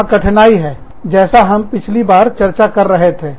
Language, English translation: Hindi, There is an impasse, as we were discussing, last time